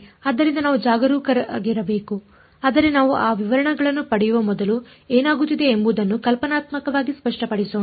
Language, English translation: Kannada, So, that something that we have to be careful about, but before we get into those details is let us be conceptually very clear what is happening